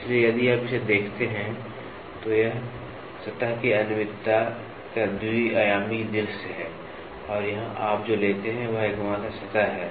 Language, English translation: Hindi, So, if you look at it, this is the two dimensional view of a surface irregularity and here what you take is only surface